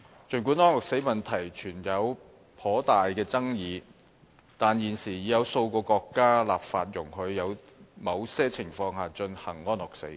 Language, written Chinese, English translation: Cantonese, 儘管安樂死問題存在頗大爭議，但現時已有數個國家立法容許在某些情況下進行安樂死。, Although considerable controversies surround the issue of euthanasia several countries have now enacted legislation to permit the performance of euthanasia under certain circumstances